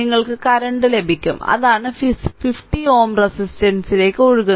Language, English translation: Malayalam, So, you will get the current and that is the current flowing to 50 ohm resistance